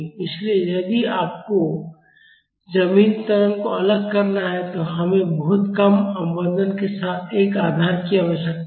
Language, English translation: Hindi, So, if you have to isolate ground acceleration, we need to have a support with very less damping